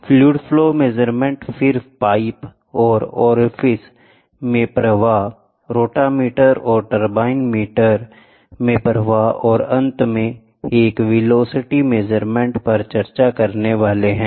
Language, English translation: Hindi, Fluid flow measurement then flows in a pipes and orifice, rotameter and turbine meters and the last one is going to be velocity measurement